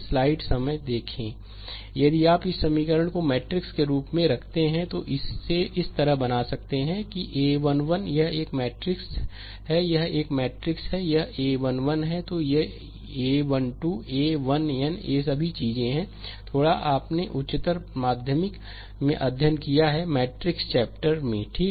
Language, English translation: Hindi, If you put this equation in the matrix form, then we can make it like this, that a 1 1 this is your this is your a matrix, this is your a matrix, it is a 1 1, then a 1 2, a 1 n these all this things little bit you have studied in your higher secondary, right in matrix chapter